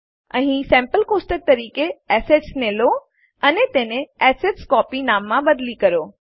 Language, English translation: Gujarati, Here, use the Assets sample table and rename it to AssetsCopy